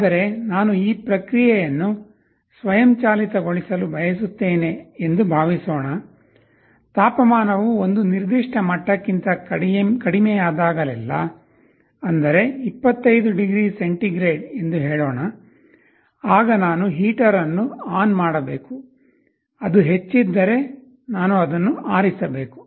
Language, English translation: Kannada, But, suppose I want to automate this process, I want to design my system in such a way that whenever the temperature falls below a certain level, let us say 25 degree centigrade, I should turn on the heater, if it is above I should turn off